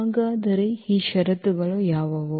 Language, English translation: Kannada, So, what are these conditions